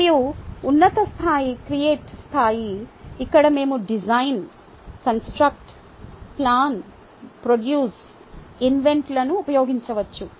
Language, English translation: Telugu, and the the top level is creating level where we can use design, construct, plan, produce, invent